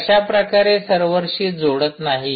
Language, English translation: Marathi, how does it not connecting to the server